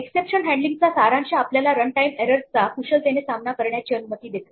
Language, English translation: Marathi, To summarize exception handling allows us to gracefully deal with run time errors